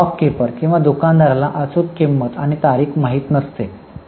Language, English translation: Marathi, So, the stockkeeper or the shopkeeper does not know exact price and the date